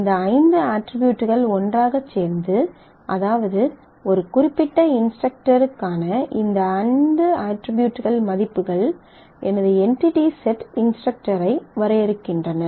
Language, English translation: Tamil, So, it has there is 5 attributes and these 5 attributes together or the values of these 5 attributes for a particular instructor defines my entity set instructor, collection of these attributes define my entity set courses